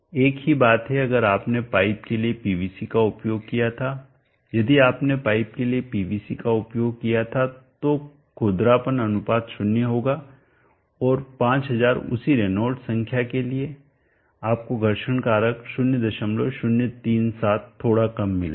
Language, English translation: Hindi, 038495 same thing if you are used PVC for the pipes we have to use PVC for the pipes the roughness ratio would be 0 and for the same Reynolds number of 5000 you will get a friction factor 0